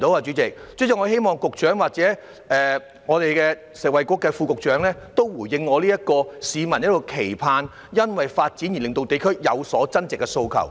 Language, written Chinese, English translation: Cantonese, 主席，我希望發展局局長或食衞局副局長回應市民的期盼，即藉發展而令地區有所增值的訴求。, President I hope the Secretary for Development or the Under Secretary for Food and Health will respond to public aspiration namely to add value to the districts through development